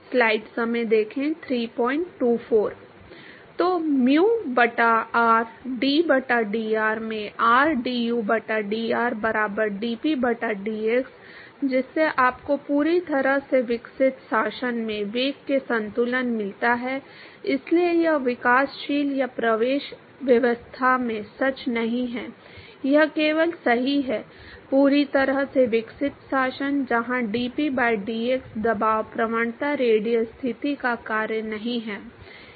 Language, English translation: Hindi, So, mu by r, d by dr into rdu by dr equal to dp by dx, so that gives you balance for the velocity in the fully developed regime, so this is not true in the developing or the entry regime its true only in the fully developed regime, where dp by dx the pressure gradient is not a function of the radial position